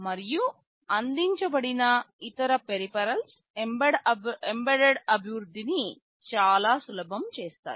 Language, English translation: Telugu, And other peripherals are provided that makes embedded development very easy